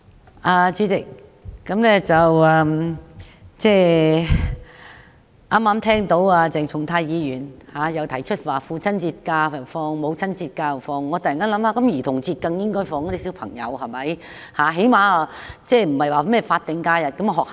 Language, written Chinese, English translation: Cantonese, 代理主席，剛才聽到鄭松泰議員提出父親節及母親節翌日應該放假，我便突然想到小朋友在兒童節更應該放假。, Deputy President upon hearing Dr CHENG Chung - tais proposal of designating the respective days following the Fathers Day and the Mothers Day as holidays I suddenly come up with the idea that children should also be given a holiday on the Childrens Day